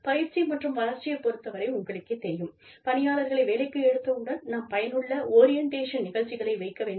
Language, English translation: Tamil, In training and development, we look for, you know, we must have, once the employees are taken in, then we are looking at, effective orientation programs